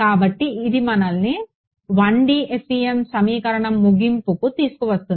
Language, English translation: Telugu, So, that brings us to an end of the 1D FEM equation